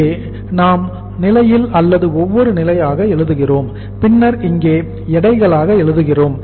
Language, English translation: Tamil, Here we write here as the stage or the stages and then we write here as weights